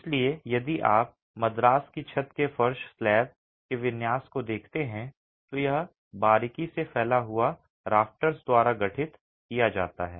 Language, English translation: Hindi, So, if you look at the configuration of the Madras Terrace Flow Slap, it's constituted by closely spaced rafters